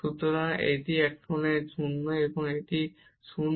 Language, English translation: Bengali, So, this is here 0 and this is also 0